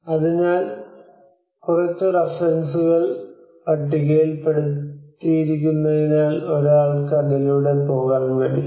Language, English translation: Malayalam, So there are few references listed out so one can actually go through that